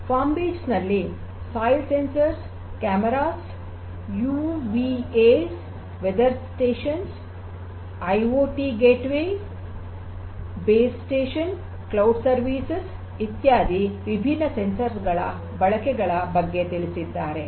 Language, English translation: Kannada, So, in this particular work FarmBeats they talk about the use of different sensors such as; the soil sensors, cameras, UVAs weather stations, IoT gateways, base station, cloud services etcetera